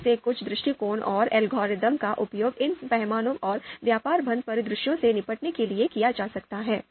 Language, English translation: Hindi, Some of these you know approaches and algorithms can be used to you know deal with this these scale and trade off scenarios